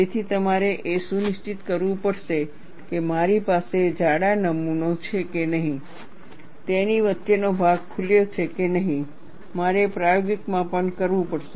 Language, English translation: Gujarati, So, you have to ensure that, if I have a thick specimen, the in between portion whether it has opened or not, I have to have experimental measurement